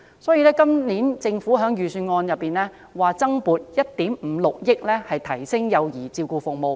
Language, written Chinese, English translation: Cantonese, 政府在今年預算案增撥1億 5,600 萬元，以提升幼兒照顧服務。, In this years Budget the Government proposes to allocate an additional funding of about 156 million to enhance child care service